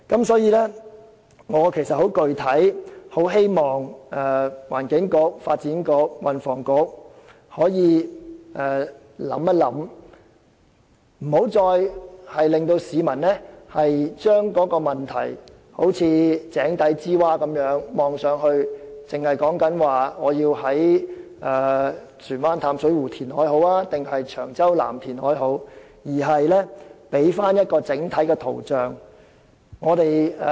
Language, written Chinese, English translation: Cantonese, 所以，我十分具體地希望環境局、發展局和運輸及房屋局好好想一想，不要再令市民好像井底之蛙般，從井底向上看待這問題，只討論究竟要在船灣淡水湖還是長洲南進行填海，而應該提供一幅整體的圖像。, Therefore I specifically hope that the Environment Bureau Development Bureau and Transport and Housing Bureau would give some serious thoughts to such issues so that members of the public would no longer take a narrow view in assessing these problems just like frogs looking up to the sky at the bottom of a well . The Government should provide us with a full picture instead of focusing our discussions on where should we carry out reclamation works in Plover Cove Reservoir or in Cheung Chau South